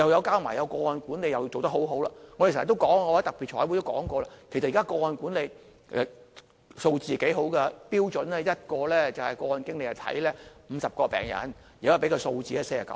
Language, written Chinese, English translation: Cantonese, 加上個案管理亦是做得很好的，我們經常說——我在特別財委會都說過——其實現在個案管理的數字不錯，標準是1名個案經理照顧50個病人，現在的數字是49個。, Besides the Governments case management work is also excellent . I often say―as I have also said so in the Special Meeting of the Finance Committee―that when it comes to figures the Government is doing quite good in case management . Currently the ratio is one case manager to 49 patients which compares favourably with the standard ratio of one case manager to 50 patients